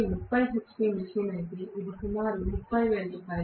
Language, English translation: Telugu, If it is 30 hp machine, it is roughly Rs